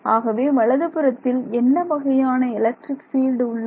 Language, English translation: Tamil, So, the right hand side requires what electric field at